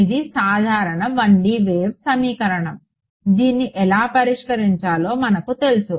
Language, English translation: Telugu, This is simple 1D wave equation we know all know how to solve it right you